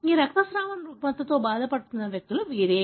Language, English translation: Telugu, These are the people who are affected with this bleeding disorder